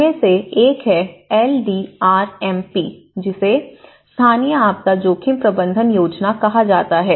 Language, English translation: Hindi, One is they have the LDRMP which is called Local Disaster Risk Management Planning